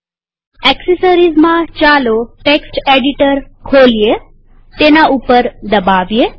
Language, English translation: Gujarati, In accessories, lets open Text Editor